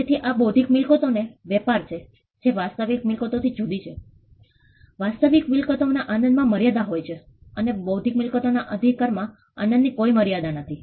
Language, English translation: Gujarati, So, this is a trade of intellectual property which distinguishes it from real property, real property has limits in enjoyment there are no limits in enjoying an intellectual property right